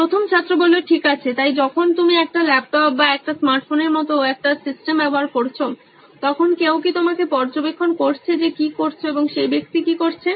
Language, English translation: Bengali, Okay, so when you are using a system like a laptop or a smart phone to take, is there anyone monitoring you like what is so and so person doing